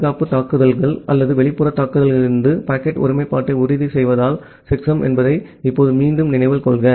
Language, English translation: Tamil, Now, again remember that checksum is not to ensure packet integrity from the security attacks or the external attacks